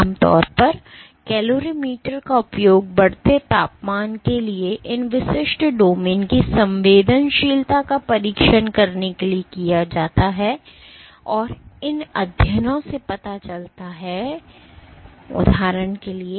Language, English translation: Hindi, So, typically calorimetry has been used for testing the sensitivities of these individual domains to increasing temperature, and these studies have revealed, for example